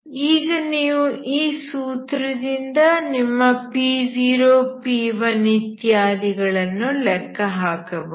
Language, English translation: Kannada, So you can from now from this formula you can calculate your P 0, P 1 and so on, okay